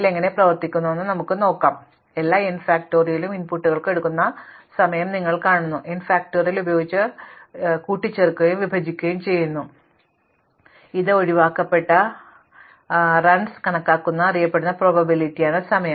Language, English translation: Malayalam, So, we will not do the actual calculation, but if you see the average, you see the actual time it is take for all the n factorial inputs, add it up and divide by n factorial which is what is in probability known as calculating the excepted running time